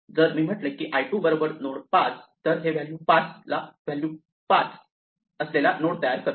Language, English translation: Marathi, If I say l2 is equal to node 5 this will create a node with the value 5